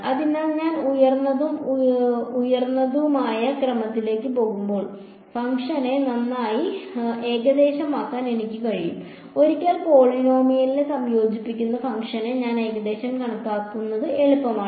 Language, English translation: Malayalam, So, as I go to higher and higher order I will be able to better approximate the function and once I approximate the function integrating a polynomial is easy